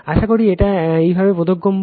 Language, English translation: Bengali, Hope this is understandable to you